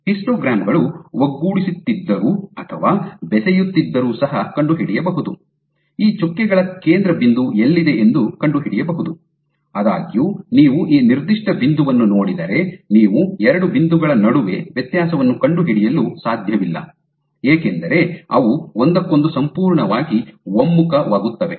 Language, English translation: Kannada, You can you can still make out, even though the histograms are coalescing or fusing, you can still make out where lies the center point of these dots; however, if you look at this particular point you cannot distinguish between the 2 points, because they have completely converged on each other